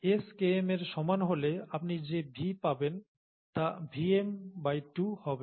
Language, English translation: Bengali, At S equals Km, the V that you find, would be Vmax by 2, okay